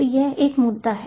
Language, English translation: Hindi, so this is one issue